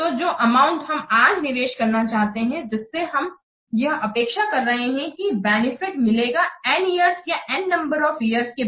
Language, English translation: Hindi, So, this amount that we are willing to invest today for which we are expecting that some benefit will occur might be after n years or a number of years or so